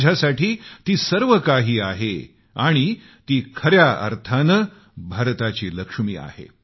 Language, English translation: Marathi, She is the Lakshmi of India in every sense of the term